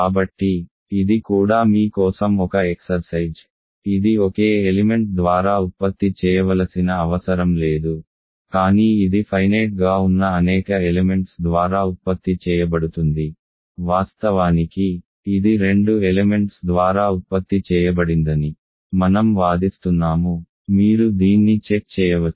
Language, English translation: Telugu, So, this is also an exercise for you, it need not be generated by a single element, but it is generated by finitely many elements, in fact, I claim that it is generated by two elements, you can check this